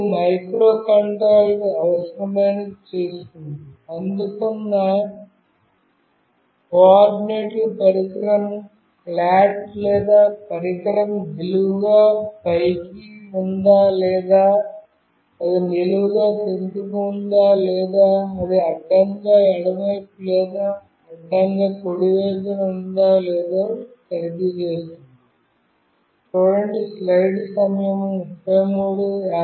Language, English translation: Telugu, Then the microcontroller will do the needful, it will analyze to check whether the coordinates received signifies that the device is flat or the device is vertically up or it is vertically down or it is horizontally left or it is horizontally right